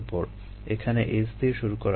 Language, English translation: Bengali, lets begin with this s here